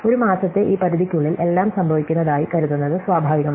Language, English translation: Malayalam, So, it is natural to think of everything as happening within this scope of one month